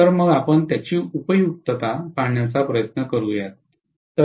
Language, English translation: Marathi, So let us try to look at the utility of it, okay